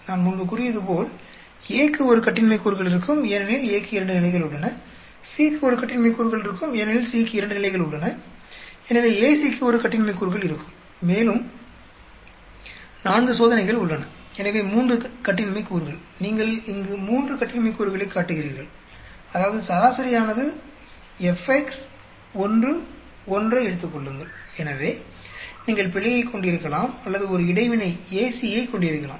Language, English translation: Tamil, And as I said before, A will have 1 degree of freedom because A has two levels, C will have 1 degree of freedom, because C has two levels, so AC will have 1 degree of freedom and there are 4 experiments so 3 degrees of freedom, you are showing here 3 degrees of freedom means if the mean, fx take 1 1, so either you can have error or you can have a interaction AC